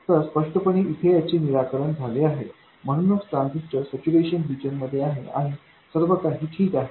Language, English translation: Marathi, So, clearly this is satisfied so the transistor is in saturation and everything is fine